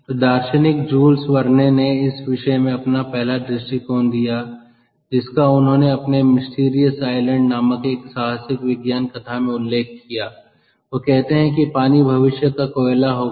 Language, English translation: Hindi, jules verne you know he is a jules verne in the, in a science fiction ah, adventure call mysterious island, he says that water will be the coal of the future